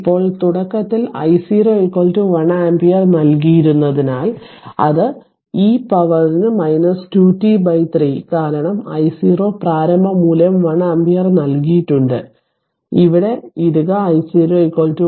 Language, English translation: Malayalam, Now, given that it initially it was given that i 0 is equal to 1 ampere therefore, i t is equal to e to the power minus 2 t upon 3 because i 0 initial value is 1 ampere given, so put here i 0 is equal to 1